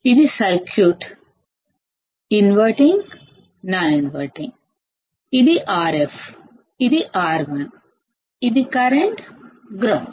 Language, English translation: Telugu, So, this is the circuit as you can see here; inverting, non inverting; this is R f, this is R 1, this is current, ground